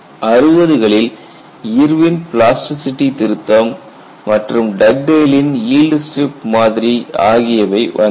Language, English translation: Tamil, Around sixty's, you find the plasticity correction by Irwin as well as Dug dale's yield strip model all of them came